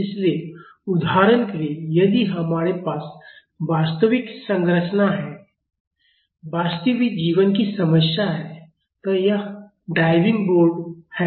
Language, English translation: Hindi, So, for example, if we have a real structure, a real life problem so, this is diving board